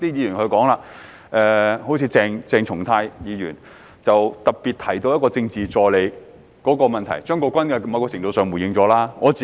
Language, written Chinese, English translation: Cantonese, 另外，有些議員特別提到有關政治助理的問題，而張國鈞議員在某程度上已作出回應。, Besides some Members such as Dr CHENG Chung - tai have particularly highlighted the issue about a Political Assistant to which Mr CHEUNG Kwok - kwan has responded to some extent